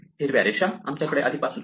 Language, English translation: Marathi, The green lines are those ones we have already had before